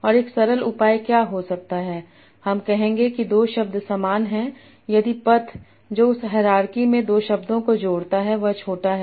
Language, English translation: Hindi, I will say that two words are similar if the path that connects the two words in that hierarchy tree is small